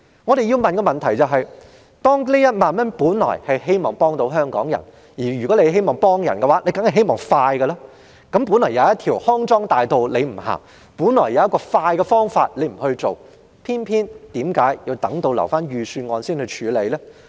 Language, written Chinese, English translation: Cantonese, 我們要問的是：這1萬元本來是希望幫助香港人，而想幫助人當然是希望盡快幫到，為何原本有一條康莊大道他不走；原本有一種快捷方法他不用，卻偏要等到提交預算案時才處理？, Our question is The disbursement of 10,000 is meant to help Hong Kong people and it would be best if assistance is provided as soon as possible so why did he not take the easy and expedient way but choose to deal with the matter only when the Budget is submitted?